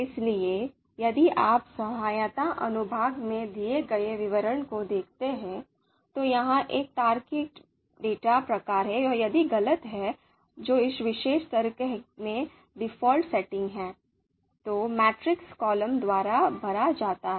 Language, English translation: Hindi, So if you look at the description that is given here in the help section, so this is a logical you know data type and if false, which is the default setting for this particular argument, the matrix is filled by columns